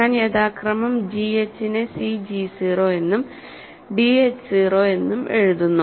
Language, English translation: Malayalam, So, I am writing g h as cg 0 and d h 0 respectively